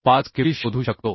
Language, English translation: Marathi, 5 Kb we could find 0